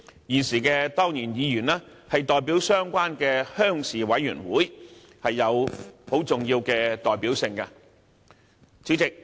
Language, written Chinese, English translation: Cantonese, 現時的當然議員是代表相關的鄉事委員會，有重要的代表性。, The incumbent ex - officio members who represent their respective rural committees carry important representativeness